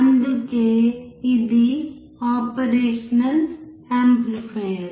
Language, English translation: Telugu, That is why it is operational amplifier